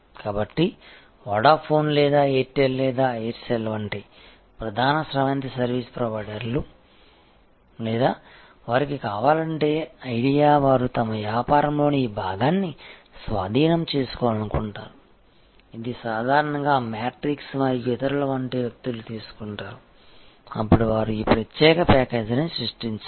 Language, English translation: Telugu, So, the main stream service providers like Vodafone or Airtel or Aircel or if they want to, Idea, they want to capture this part of their business, which is normally taken away by people like matrix and others, then they create this special package